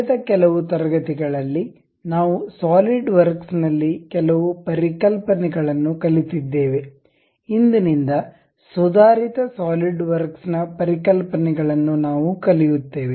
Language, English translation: Kannada, In last few classes, we learned some of the concepts in Solidworks; advanced concepts in solidworks from today onwards, we will learn it